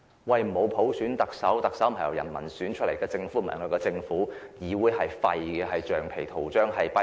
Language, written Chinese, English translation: Cantonese, 由於沒有普選，特首及政府都不是由人民選出來的，議會也是廢的，只是"橡皮圖章"、"跛腳鴨"。, As there is no universal suffrage the Chief Executive and the Government are not elected by the people this Council is nothing but a rubber stamp or a lame duck